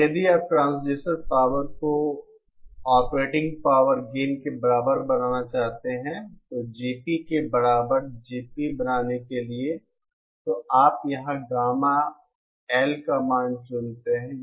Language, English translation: Hindi, And if you want to make the transducer power gain equal to the operating power gain that is for making GT equal to GP, so you choose the value of gamma L here